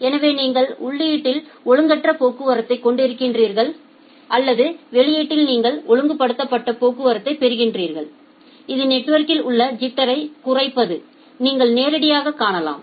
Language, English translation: Tamil, So, you are having irregulated traffic at the input and at the output you are getting the regulated traffic, which by the from the figure you can directly see that it is minimizing the jitter in the network